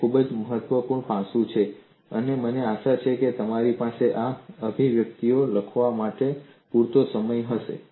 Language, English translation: Gujarati, So, very important aspect and I hope you had sufficient time to complete writing these expressions